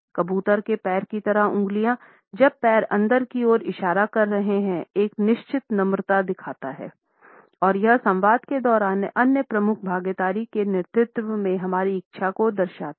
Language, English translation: Hindi, In contrast the pigeon toes when the toes are pointing inward shows a certain meekness and it signals our willingness to be led by the other dominant partner during our dialogues